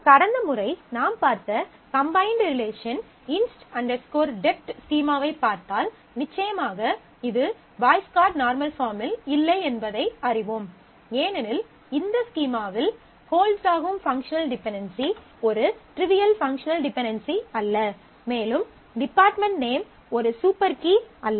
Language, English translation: Tamil, So, if we look at inst dept schema of the combined relations we saw last time, then we will know that certainly this is not in Boyce Codd Normal Form because this functional dependency holds in this schema where it is neither a trivial dependency and nor department name is a super key